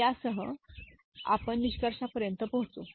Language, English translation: Marathi, So, with this we come to the conclusion